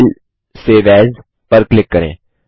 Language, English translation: Hindi, Click on File Save As